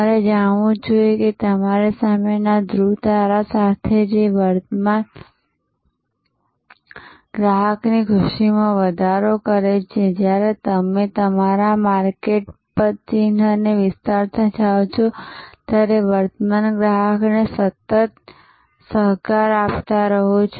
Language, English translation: Gujarati, You must know when to use what, with the pole star in front of you, which is constantly enhancing the delight of the current customer, constantly co opting the current customer as you go on expanding your market footprint